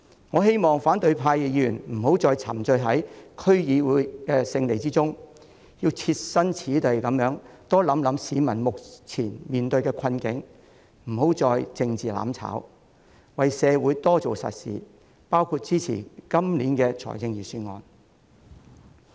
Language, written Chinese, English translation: Cantonese, 我希望反對派議員別再沉醉於區議會選舉的勝利中，要多設身處地考慮市民目前面對的困境，不要再作政治"攬炒"，為社會多做實事，包括支持今年的預算案。, I hope Members from the opposition camp will no longer be carried away by the victory in the District Council election . Instead of taking a political path that leads to mutual destruction they should think more about the present plight of members of the public with empathy and do more solid work for the community including lending their support to this years Budget